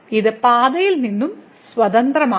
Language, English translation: Malayalam, This is independent of the path